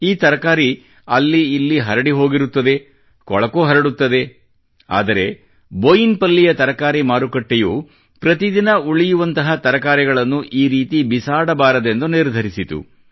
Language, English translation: Kannada, The vegetables spread all around, it spreads filth too, but the vegetable market of Boinpalli decided that it will not throw away the leftover vegetables just like that